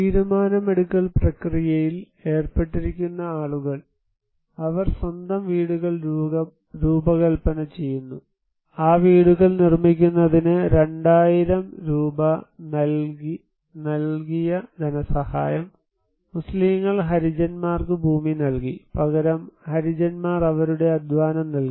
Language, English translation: Malayalam, So, people who are involved into the decision making process, they design their own houses, finances they provided 2000 Rupees to build these houses, Muslims provided land to Harijans and in return Harijans given their own labour